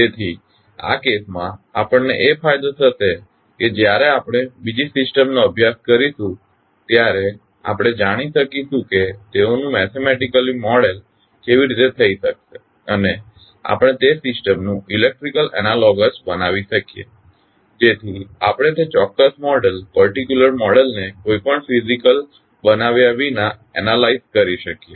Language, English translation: Gujarati, So in this case, the advantage which we will get that when we study the other systems we will come to know that how they can be modeled mathematically and we can create the electrical analogous of that system so that we can analyze the system without any physical building of that particular model